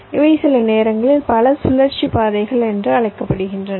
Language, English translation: Tamil, ok, these are sometimes called multi cycle paths